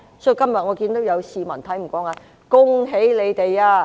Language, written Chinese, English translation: Cantonese, 所以，我今天看到有市民看不過眼，說："恭喜你們！, So today I see some citizens who cannot stand their act say Congratulations!